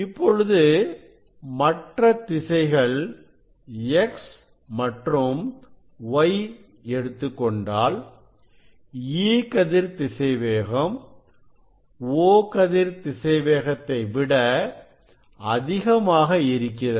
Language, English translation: Tamil, then this velocity of E ray is along the x and y direction is less than the O ray